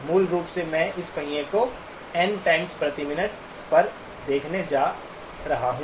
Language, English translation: Hindi, Basically I am going to view this wheel at N times per minute